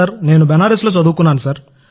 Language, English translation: Telugu, Yes, I have studied in Banaras, Sir